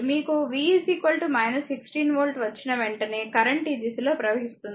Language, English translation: Telugu, As soon as you get v is equal to minus 16 volt means current is flowing in this direction